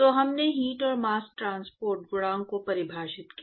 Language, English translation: Hindi, So, we defined the heat and mass transport coefficient yesterday